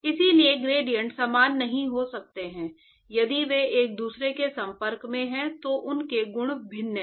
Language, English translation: Hindi, So, the gradients cannot be equal if they are in contact with each other their properties are different and